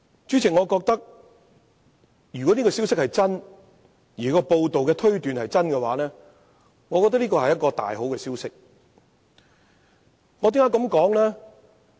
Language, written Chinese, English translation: Cantonese, 假設這個消息是真的，而報道中的推斷亦屬正確，我認為這真是個大好消息，為甚麼呢？, If the news is true and the predictions are correct I would think that this is indeed very good news . Why?